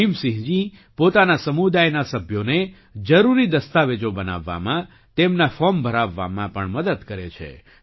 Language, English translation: Gujarati, Bhim Singh ji also helps his community members in making necessary documents and filling up their forms